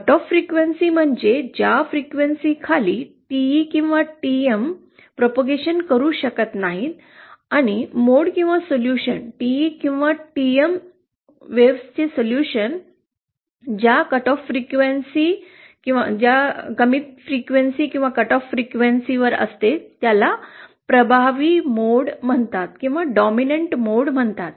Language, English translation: Marathi, Cut off frequency means a frequency below which a TE or TM when cannot transmit and the mode or that solution of the TE or TM wave which has the lowest cut off frequency that is known as the dominant mode